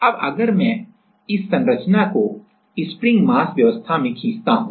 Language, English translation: Hindi, Now, if I draw this structure then in a spring mass arrangement